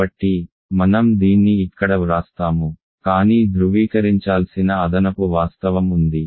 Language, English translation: Telugu, So, I will write this here, but there is one additional fact to be verified